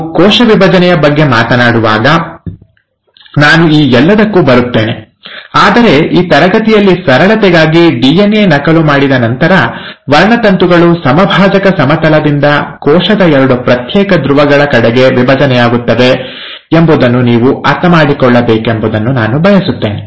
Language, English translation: Kannada, Now I’ll come to all this when we talk about cell division, but for simplicity in this class, I just want you to understand that after the DNA has duplicated, the chromosomes divide from the equatorial plane towards the two separate poles of the cell, and it is possible because of the spindle structure